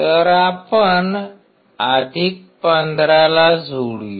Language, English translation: Marathi, So, let us connect + 15